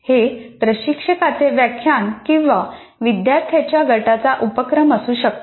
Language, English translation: Marathi, And there could be an instructor's lecture or the activities of a group of students